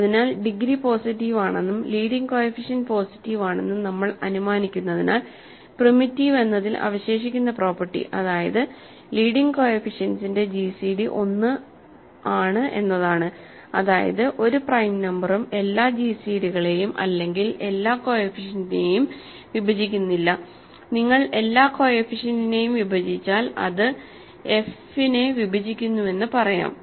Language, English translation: Malayalam, So, because we are assuming degree is positive and that leading coefficient is positive, primitiveness is simply the remaining property which is that the gcd of the leading coefficients is 1, that means no prime number divides all the gcd’s, all the coefficients which is same say if you divides all the coefficient that means it divides f